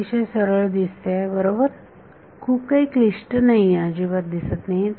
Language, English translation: Marathi, Looks straight forward right does not look very complicated at all